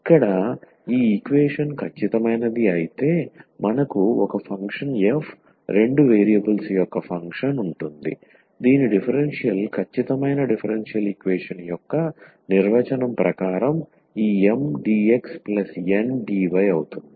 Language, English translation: Telugu, So, here if this equation is exact then we will have a function f a function of two variable whose differential will be this Mdx plus Ndy as per the definition of the exact differential equations